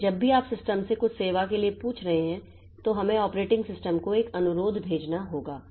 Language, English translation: Hindi, So, whenever you are asking for some service from the system, so you have to send a request to the operating system